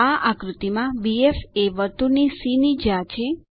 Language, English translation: Gujarati, In the figure BF is the chord to the circle c